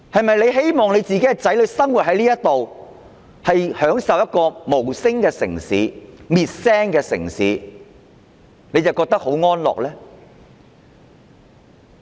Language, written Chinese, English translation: Cantonese, 若他們的子女生活在一個被滅聲的無聲城市，他們是否會覺得很安樂呢？, If their children live in a silenced city with no voice will they feel comfortable?